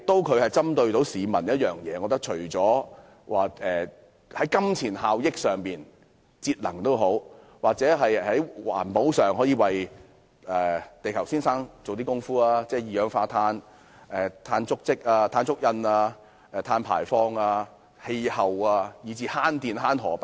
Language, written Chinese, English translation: Cantonese, 計劃不但可以為市民帶來金錢效益，還可以在節能或環保上為地球先生作出貢獻，例如有助減少二氧化碳、碳足跡及碳排放、改善氣候，以至節電和省錢。, MEELS not only brings monetary benefits to the public but also contribute to the well - being of Mr Earth in saving energy or protecting the environment . For instance MEELS facilitates reductions of carbon dioxide carbon footprints and carbon emissions improvement of the climate and even electricity and money saving